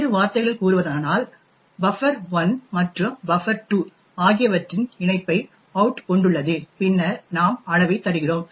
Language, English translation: Tamil, In other words out comprises of the concatenation of buffer 1 and buffer 2 and then we return the size